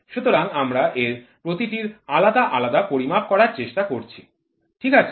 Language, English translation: Bengali, So, we are trying to measure the individual values of this, ok